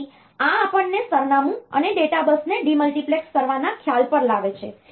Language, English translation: Gujarati, So, this brings us to the concept of demultiplexing the address and data bus